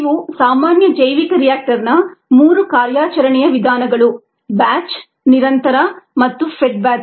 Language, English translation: Kannada, these are the three common bioreactor operating modes: the batch, the continuous and the fed batch